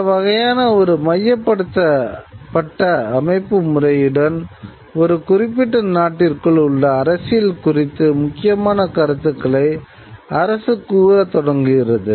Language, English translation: Tamil, Now, with this kind of a centralized mechanism, the government starts having a very important say over the politics within a certain country